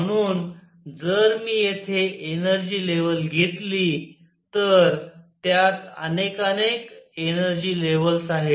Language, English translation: Marathi, So, if I take an energy level here, it has in it many many energy levels